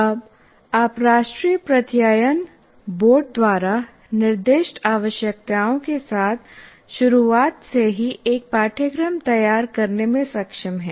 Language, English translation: Hindi, So you now you are able to design a course right from the beginning with the requirements specified by National Board of Accreditation